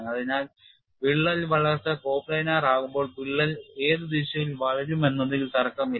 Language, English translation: Malayalam, When the crack growth is going to be coplanar there is no question of which direction the crack will grow